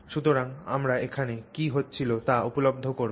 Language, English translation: Bengali, So, how do we check what is happening